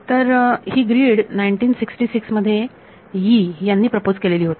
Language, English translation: Marathi, So, this grid was what was proposed by Yee in 1966